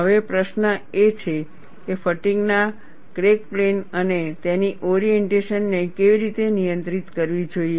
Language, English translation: Gujarati, Now, the question is, how the fatigue crack plane and its orientation has to be controlled